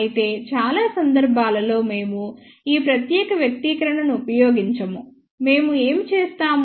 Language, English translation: Telugu, However, most of the time we do not use this particular expression